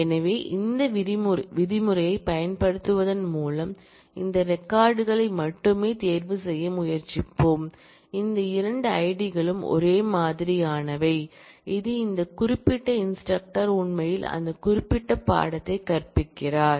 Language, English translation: Tamil, So, by the use of this where clause, we will try to choose only those records where, these 2 ids are same which will tell us that, this particular instructor actually teaches that particular course